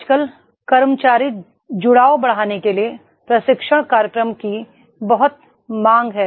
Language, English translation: Hindi, Nowadays, there is a lot of demand of the training programs to enhance the employee engagement